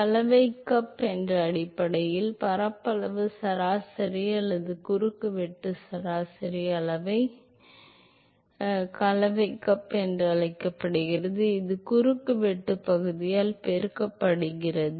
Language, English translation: Tamil, Mixing cup is basically area average or cross sectional average were quantity is called mixing cup quantity that multiplied by the cross sectional area